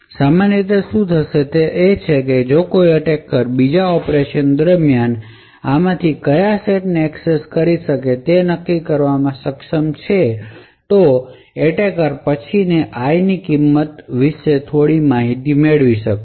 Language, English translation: Gujarati, So, what typically would happen is that if an attacker is able to determine which of these sets has been accessed during the second operation the attacker would then be able to gain some information about the value of i